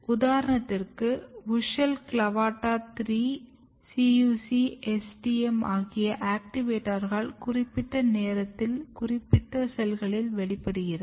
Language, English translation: Tamil, For example, you will see later on this WUSCHEL, CLAVATA 3, CUC, STM all these activators are basically expressed or activated at particular stage in a particular cell